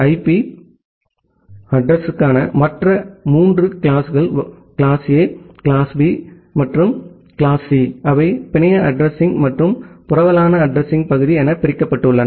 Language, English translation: Tamil, The other three classes of IP addresses class A, class B, and class C, they are divided into the network address and the host address part